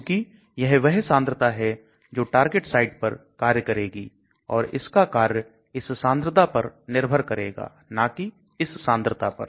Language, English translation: Hindi, Because this is the concentration which acts on the target site and the action will depend upon this concentration and not this concentration